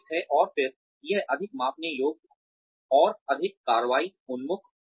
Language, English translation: Hindi, And then, it will be more measurable, and more action oriented